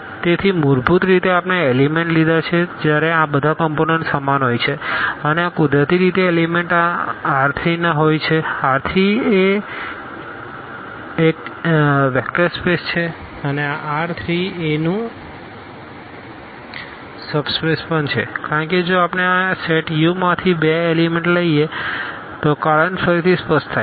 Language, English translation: Gujarati, So, basically we have taken the elements when all these components are equal and this naturally the elements belong to this R 3; R 3 is a is a vector space and this is also a subspace of R 3 the reason is again clear if we take two elements from this set U